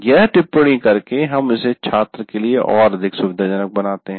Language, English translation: Hindi, By annotatingating that you make it more convenient for the student